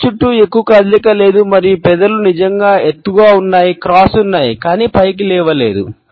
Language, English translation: Telugu, There is not much movement around the eyes and the lips are really elevated, there are cross, but not high up